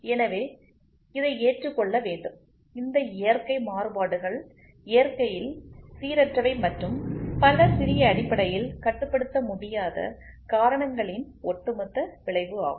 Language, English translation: Tamil, So, this has to be accepted, these natural variations are random in nature and are the cumulative effect of many small essentially uncontrollable causes